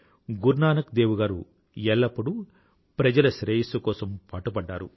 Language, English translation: Telugu, Guru Nanak Dev Ji always envisaged the welfare of entire humanity